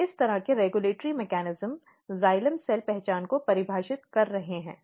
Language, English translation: Hindi, So, basically these kind of regulatory mechanisms is defining xylem cell identity